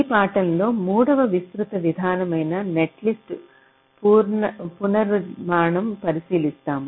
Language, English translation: Telugu, so we look at the third broad approach in this lecture: netlist restructuring